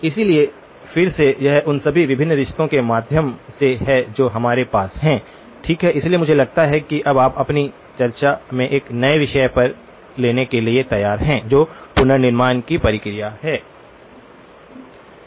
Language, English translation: Hindi, So, again that is just by way of all the different relationships that we have, okay, so I think we are now ready to take on a new topic in our discussion that is the process of reconstruction